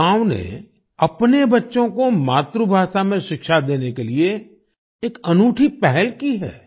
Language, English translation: Hindi, This village has taken a unique initiative to provide education to its children in their mother tongue